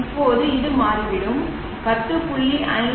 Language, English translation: Tamil, Now this turns out to be 10